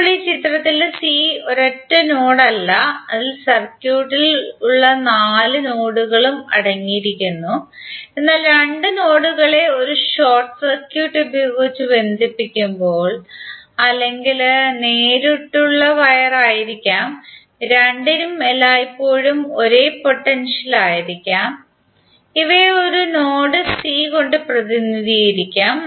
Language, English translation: Malayalam, Now in this figure c is not a single load it contains all four nodes which are there in the circuit, but we represented by a single node c while connect two nodes whit a short circuit or may be the direct wire both will always be at a same potential